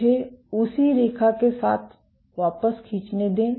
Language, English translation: Hindi, Let me draw the return with the same line